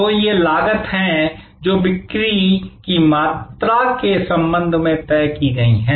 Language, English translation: Hindi, So, these are costs, which are fixed with respect to the volume of sales